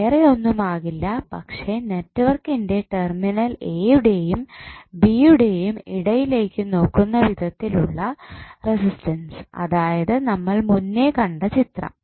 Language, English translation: Malayalam, R N would be nothing but input resistance of the network looking between the terminals a and b so that is what we saw in the previous figure